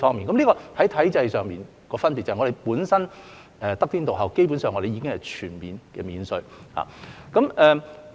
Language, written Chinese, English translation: Cantonese, 這是體制上的差別，香港本身得天獨厚，基本上全面免稅。, This is the difference in regime . Hong Kong is basically duty - free owing to our unique positioning